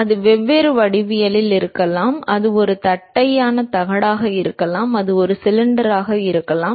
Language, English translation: Tamil, And that could be different geometric, it could be a flat plate it could be a cylinder